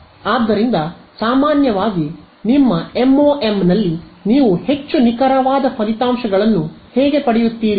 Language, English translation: Kannada, So, typically what how will you get more accurate results in your MoM